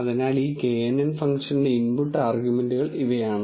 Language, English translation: Malayalam, So, these are the input arguments for this knn function